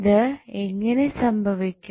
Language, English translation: Malayalam, How did we find